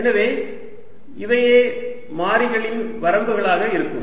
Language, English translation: Tamil, so these are going to be the ranges of the variables